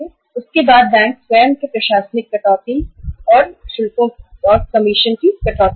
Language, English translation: Hindi, After that bank would deduct its own administrative charges and commission